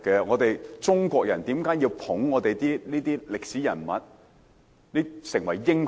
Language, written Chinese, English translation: Cantonese, 為何中國人要吹捧一眾歷史人物為民族英雄？, Why would the Chinese people extol a crowd of historical figures as national heroes?